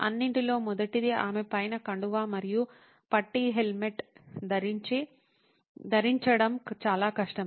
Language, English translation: Telugu, First of all, she finds it hard to wear a scarf and a strap a helmet on top of it